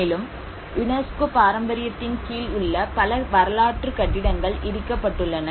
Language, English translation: Tamil, And many of the historic buildings which are under the UNESCO heritage have been demolished